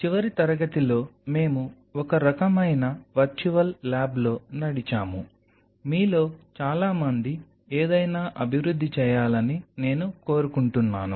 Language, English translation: Telugu, So, in the last class we kind of walked through or virtual lab, which I wish most of you develop something